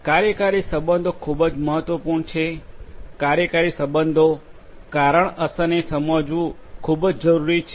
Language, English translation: Gujarati, Causal relationships are very important; understanding the causal relationships, the cause effect